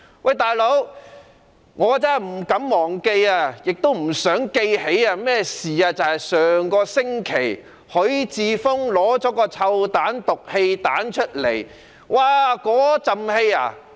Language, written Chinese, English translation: Cantonese, "老兄"，我真的不敢忘記，也不想記起一件事，即上星期許智峯議員投擲"臭彈"或"毒氣彈"，散發濃烈氣味。, Buddy I honestly dare not forget and do not want to recollect one incident namely the hurling by Mr HUI Chi - fung last week of a stink bomb or poisonous gas bomb that emitted a strong smell